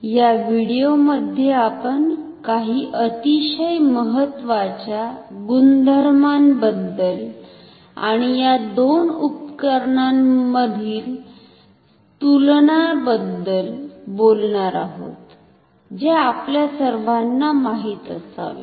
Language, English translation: Marathi, In this video we shall talk about some very important properties and comparison between these two instruments which we all should know